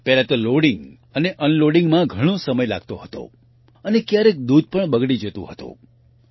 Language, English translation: Gujarati, Firstly, loading and unloading used to take a lot of time and often the milk also used to get spoilt